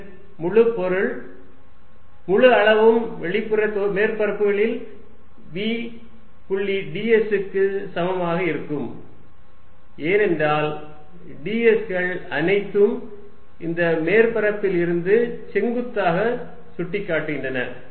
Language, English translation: Tamil, And that means, entire volume is going to be equal to v dot d s over the outside surfaces, because d s is all pointing a perpendicular pointing away from this surface